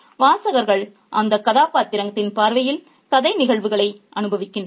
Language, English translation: Tamil, So, readers experience narrative events from that character's point of view